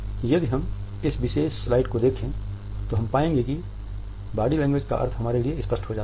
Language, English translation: Hindi, If we look at this particular slide, we would find that the meaning of body language becomes clear to us